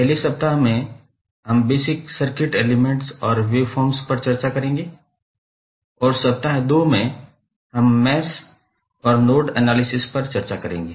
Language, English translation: Hindi, First week, we will go with the basic circuit elements and waveforms and week 2 we will devote on mesh and node analysis